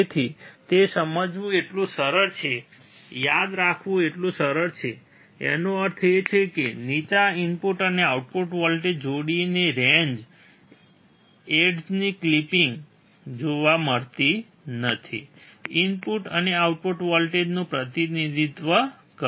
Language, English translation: Gujarati, So, it is so easy to understand, so easy to remember; that means, that the range of input and output voltage pairs below, the edge clipping is not observed represents the input and output voltage